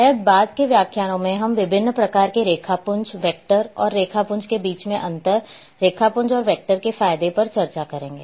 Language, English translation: Hindi, Then raster maybe in later lectures we will discuss different types of raster’s and difference is between vector and raster advantages and raster and vector